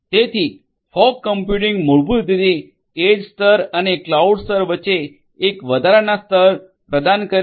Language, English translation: Gujarati, So, fog computing basically offers an added layer between the edge layer and the cloud layer